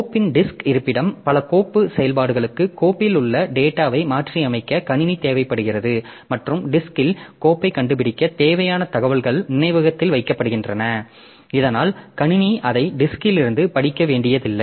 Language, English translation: Tamil, Then the disk location of the file so many file operations require the system to modify data within the file and the information needed to locate the file on the disk is kept on memory so that the system does not have to read it from the disk for each operation